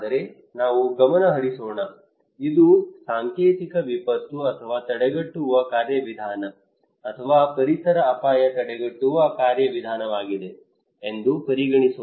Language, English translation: Kannada, But let us focus, consider that this is a symbolic disaster or preventive mechanism or environmental risk preventive mechanism